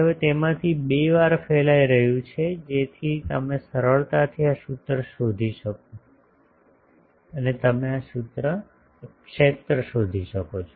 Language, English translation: Gujarati, So, twice of that now that is radiating so you can easily find this formula, so you can find the field